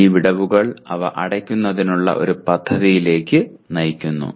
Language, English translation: Malayalam, And this gap leads to plan for closing the gaps